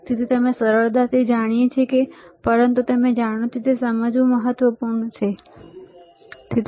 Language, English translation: Gujarati, So, easy we know, but even you know it is important to understand, all right